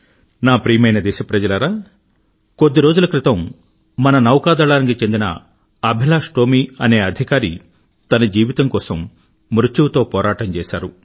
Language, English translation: Telugu, My dear countrymen, a few days ago, Officer AbhilashTomy of our Navy was struggling between life and death